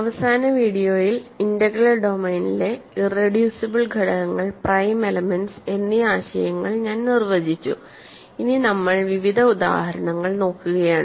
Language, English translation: Malayalam, In the last video, I defined the notion of irreducible elements and prime elements in an arbitrary integral domain, and we are looking at various examples